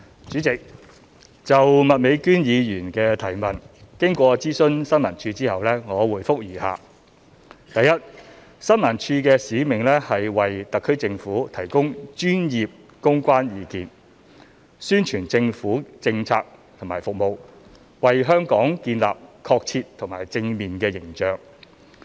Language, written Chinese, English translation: Cantonese, 主席，就麥美娟議員的質詢，經諮詢政府新聞處後，我現答覆如下：一新聞處的使命是為香港特別行政區政府提供專業公關意見，宣傳政府政策和服務，為香港建立確切及正面的形象。, President having consulted the Information Services Department ISD I provide a reply to Ms Alice MAKs question as follows 1 The mission of ISD is to provide professional public relations PR advice to the Hong Kong Special Administrative Region HKSAR Government promote government policies and services with a view to projecting an accurate and positive image of the city